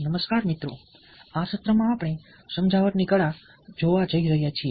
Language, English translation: Gujarati, hello friends, in this lesson we are going to look at the art of persuasion